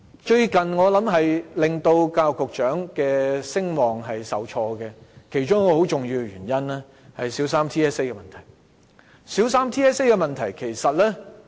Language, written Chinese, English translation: Cantonese, 最近令教育局局長的聲望受挫的其中一個重要原因，是小三全港性系統評估的問題。, One of the major reasons that has recently tainted the reputation of the Secretary is the Territory - wide System Assessment TSA